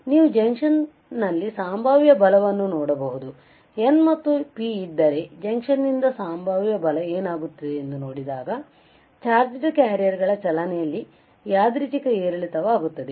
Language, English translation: Kannada, You see potential force on the junction, potential force from the junction if there is N and P, what will happen the there is a random fluctuation in the motion of a charged carriers